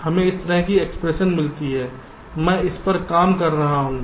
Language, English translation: Hindi, so we get an expression like this i am just to working this out